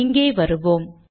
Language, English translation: Tamil, Let me come here